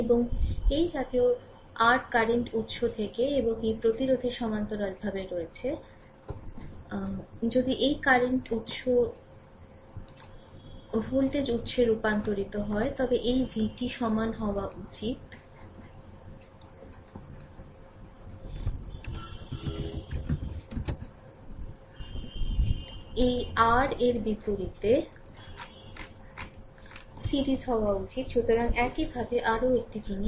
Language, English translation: Bengali, And from this kind of par your current source and this resistance is there in parallel, if you transform this current source to the voltage source, then this v should be is equal to i r this R should be in series vice versa right So, similarly one more thing